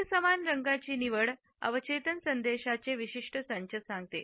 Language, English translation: Marathi, The choice of uniform colors conveys particular sets of subconscious messages